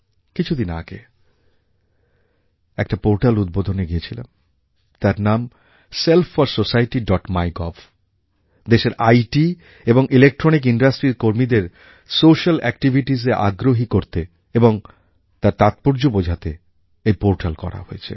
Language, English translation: Bengali, Recently, I attended a programme where a portal was launched, its name is 'Self 4 Society', MyGov and the IT and Electronics industry of the country have launched this portal with a view to motivating their employees for social activities and providing them with opportunities to perform in this field